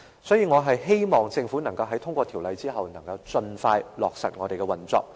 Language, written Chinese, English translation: Cantonese, 所以，我希望政府在通過《條例草案》後，能夠盡快落實有關條例的運作。, Therefore I hope the Government can put in place the relevant legislation as soon as possible after the passage of the Bill